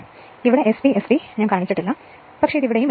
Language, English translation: Malayalam, So, here SPST I have not shown, but you can you can put it here also